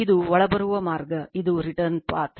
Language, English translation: Kannada, This is incoming path; this is return path